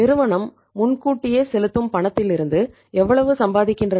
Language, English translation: Tamil, How much companies are earning on the advance payments